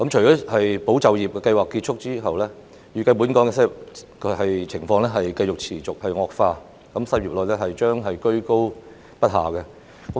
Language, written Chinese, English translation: Cantonese, 在"保就業"計劃結束後，本港的失業情況預計會持續惡化，失業率將居高不下。, Upon the conclusion of ESS the unemployment problem in Hong Kong is expected to worsen and the unemployment rate will continue to stay high